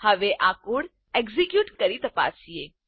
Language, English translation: Gujarati, Now lets check by executing this code